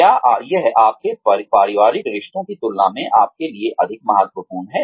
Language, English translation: Hindi, Is it more important for you, than your family relationships